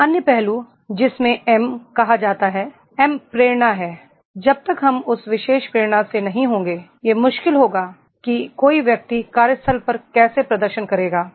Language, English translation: Hindi, The another aspect which is called the M, M is motivation, unless and until we will not be having that particular motivation it will be difficult that is the how a person will perform at the workplace